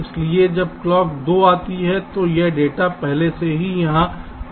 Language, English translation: Hindi, so when clock two comes, this data is already come here